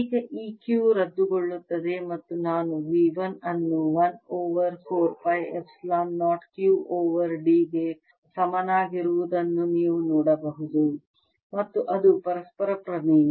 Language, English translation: Kannada, now you can see that this q cancels and i get v one equals one over four pi, epsilon zero, q over d, and that's the reciprocity theorem